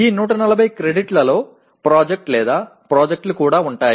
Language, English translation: Telugu, This will include, this 140 credits will also include the project or projects